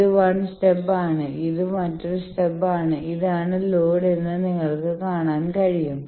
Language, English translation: Malayalam, You can see that this is 1 stub this is another stub this is the load